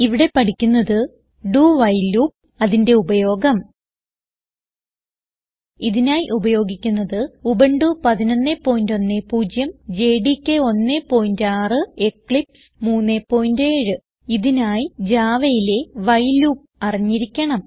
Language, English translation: Malayalam, In this tutorial, you will learn about do while loop and how to use it For this tutorial we are using Ubuntu 11.10, JDK 1.6 and Eclipse 3.7 To follow this tutorial, you musthave knowledge of while loop in java